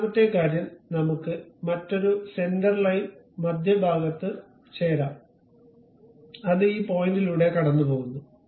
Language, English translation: Malayalam, And second thing let us have another center line join the mid one and that is passing through this point, fine